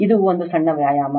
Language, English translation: Kannada, This is a small exercise to you